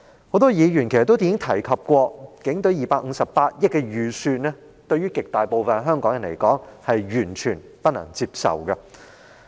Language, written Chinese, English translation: Cantonese, 很多議員已提及，警隊258億元的預算開支對極大部分香港人來說，是完全不能接受。, As mentioned by many Members the estimated expenditure of 25.8 billion for the Police Force is totally unacceptable to a large number of people in Hong Kong